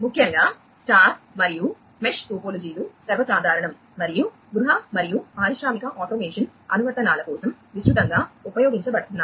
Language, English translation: Telugu, Particularly, the star and the mesh topologies are the most common and are widely used for home and industrial automation applications